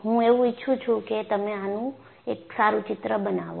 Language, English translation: Gujarati, I would like you to make a neat sketch of this